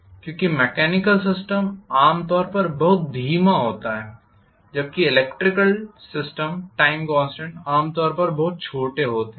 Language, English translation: Hindi, Because mechanical systems are normally very slow whereas the electrical systems time constants are generally much smaller generally